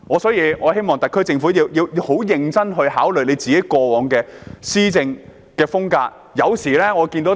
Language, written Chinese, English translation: Cantonese, 所以，我希望特區政府十分認真地檢討過往的施政風格。, Hence I hope the SAR Government can seriously reflect on its past style of governance